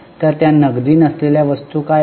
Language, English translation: Marathi, So, what are those non cash items